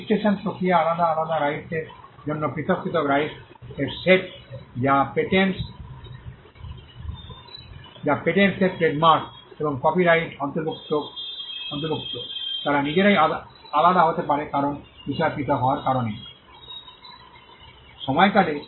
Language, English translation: Bengali, The registration process is different for different rights the exclusive set of rights that patents and trademarks and copyright encompasses, they themselves can be different because of the subject matter being different